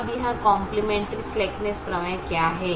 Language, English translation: Hindi, now, what is this complimentary slackness theorem